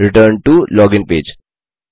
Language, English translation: Hindi, Return to login page